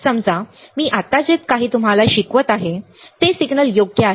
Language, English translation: Marathi, Suppose, whatever I am right now teaching you is a signal right